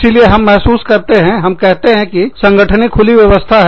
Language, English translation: Hindi, So, we feel, we say that, the organizations are open systems